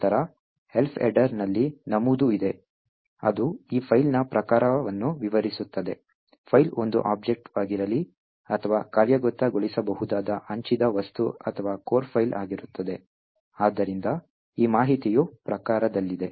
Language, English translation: Kannada, Then, there is an entry in the Elf header which describes the type of this particular file, whether the file is an object, or an executable a shared object or a core file, so this information is present in type